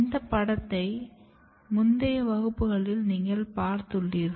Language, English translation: Tamil, So, this slide also you have seen in one of the previous class